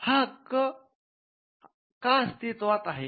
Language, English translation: Marathi, Now, why does this right exist